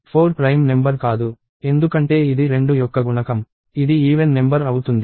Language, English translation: Telugu, So, 4 is not a prime number because it is a multiple of 2 it is an even number